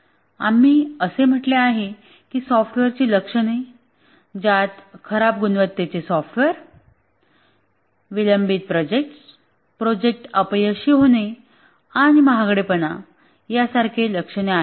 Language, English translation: Marathi, We said the software crisis as symptoms which show up as poor quality software, delayed projects, project failure, and so on, costly and so on